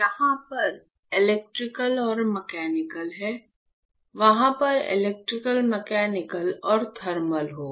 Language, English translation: Hindi, Here it is electrical and mechanical; there will be electrical, mechanical and thermal